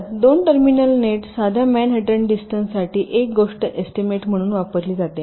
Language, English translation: Marathi, so one thing: for two terminal nets, simple manhattan distance is use as a estimate